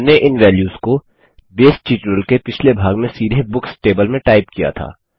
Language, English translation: Hindi, We typed in these values directly into the Books table in the previous part of the Base tutorial